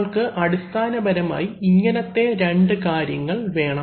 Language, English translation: Malayalam, We basically need this these two kind of things